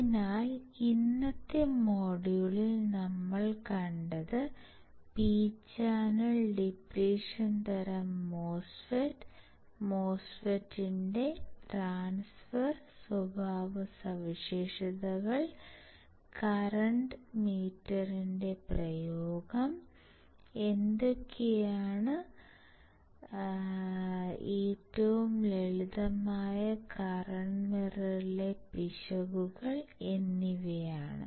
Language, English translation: Malayalam, So, with this what we have seen we had in the today’s module, , we have seen P channel we have seen depletion type, MOSFET we have seen the transfer characteristics, then we have also seen the application of the current mirror, and how what are the errors in the simplest current mirror